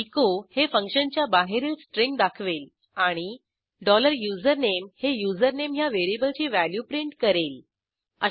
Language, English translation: Marathi, echo will display the string outside function: And dollar username will print the value of the variable username